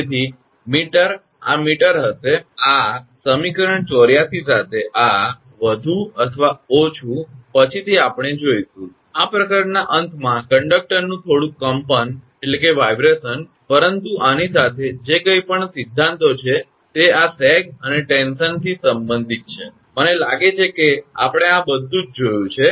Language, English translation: Gujarati, So, meter this will be meter this equation 84 with this more or less little bit later we will see, little bit of vibration of conductor at the end of this chapter, but with this whatever theories are there related to this sag and tension, I think we have seen everything